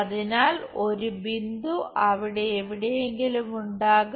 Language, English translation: Malayalam, So, a point will be somewhere there